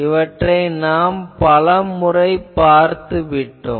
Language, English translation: Tamil, This we have seen many times